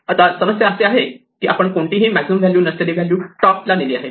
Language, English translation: Marathi, Now, the problem with this is we have moved an arbitrary value not the maximum value to the top